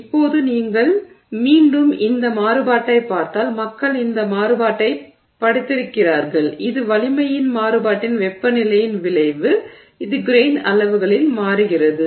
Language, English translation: Tamil, Now if you look at another variation on this, again people have studied this variation which is the effect of temperature on variation of strength which changes in grain size